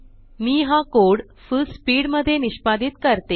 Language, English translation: Marathi, I will execute this code in Fullspeed